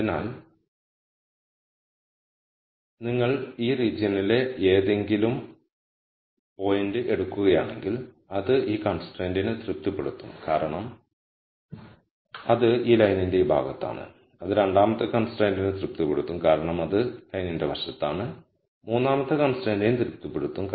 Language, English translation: Malayalam, So, if you take a point any point in this region it will be satisfying this constraint because it is to this side of this line, it will satisfy the second constraint because it is to the side of the line and it will satisfy the third constraint because it is to this side of the line